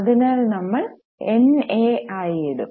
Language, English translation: Malayalam, So, we will put it as NA